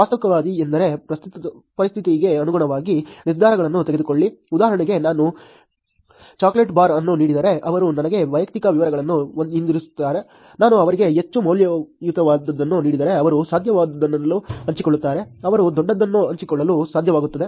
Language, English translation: Kannada, Pragmatist are the people who are, make decisions depending on the situation, for example, if I am giving a bar of chocolate they would give me back something which is personal details, if I am giving them something more worth then they will be able to share, they will be able to share something bigger also